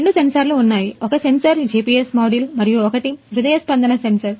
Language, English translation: Telugu, And there are two sensors; one sensor is GPS module and the one is heartbeat sensor